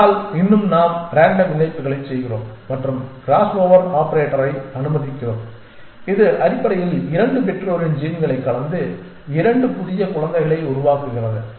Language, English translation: Tamil, But still we do random pairings and allow the cross over operator which is basically mixing up the genes of the 2 parents and producing 2 new children